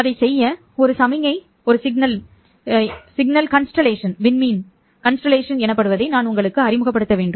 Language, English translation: Tamil, And in order to do that one, I would require to introduce to you what is called a signal constellation